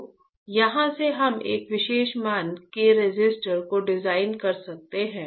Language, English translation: Hindi, So, from here we can design a resistor of a particular value right